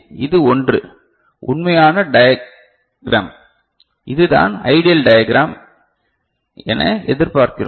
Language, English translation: Tamil, So, this is one actual diagram, and this is what we expect as ideal diagram